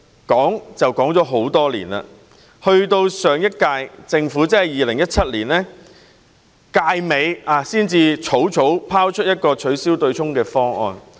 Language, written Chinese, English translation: Cantonese, 經過多年空談，上屆政府直至2017年任期快將屆滿前，才草草拋出一個取消對沖方案。, After years of empty talk the last - term Government waited until 2017 shortly before the expiration of its term to hastily float a proposal for abolishing the offsetting mechanism